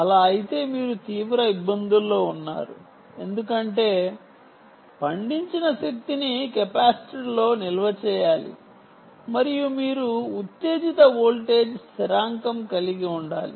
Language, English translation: Telugu, if so, you are in deep trouble, because the energy that is harvested, has to be stored into a capacitor and you have to maintain the excitation voltage constant, right